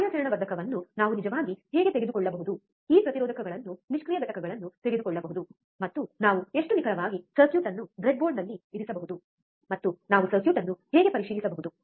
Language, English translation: Kannada, How can we actually take a operational amplifier take this resistors passive components, and how exactly we can we can place the circuit on the breadboard, and how we can check the circuit